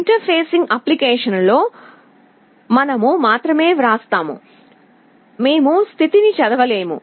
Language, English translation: Telugu, In our interfacing application, we would only be writing, we would not be reading the status